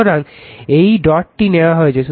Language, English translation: Bengali, So, this dot thing is taken right